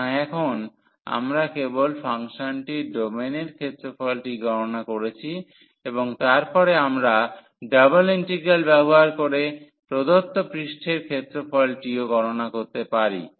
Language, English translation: Bengali, So now, we have computed only the area of the domain of the function and then, later on we can also compute the surface area of the given surface using the double integrals